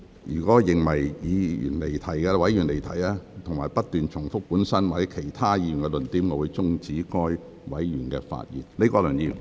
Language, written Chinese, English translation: Cantonese, 若我認為委員發言離題或不斷重複本身或其他議員的論點，我會終止該委員發言。, If I consider that a Member has digressed from the discussion topic or kept repeating the arguments of his own or other Members in his speech I will stop the Member from speaking